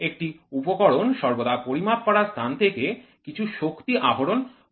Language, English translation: Bengali, An instrument always extracts some energy from the measured media